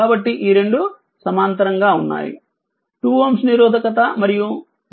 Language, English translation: Telugu, So, this 2 are in parallel 2 ohm resistance and 0